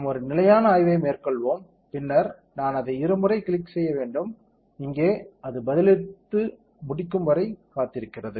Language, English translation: Tamil, Let us do a stationary study and then I have to double clicked it, here waiting for it respond and done